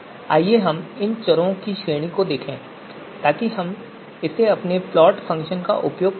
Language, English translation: Hindi, So let us look at the range of these variables so that we can use that in our plot function